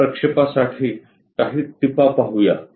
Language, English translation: Marathi, Let us look at few tips for these projections